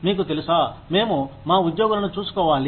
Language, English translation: Telugu, You know, we need to look after our employees